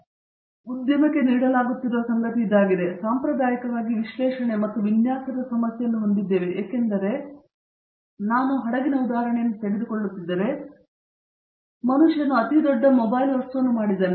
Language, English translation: Kannada, And, this is something it has been catered to the industry, that we traditionally had the problem of analysis and design because again if I take the example of a ship, is a largest man made mobile object